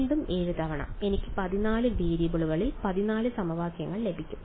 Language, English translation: Malayalam, Again 7 times that I will get 14 equations in 14 variables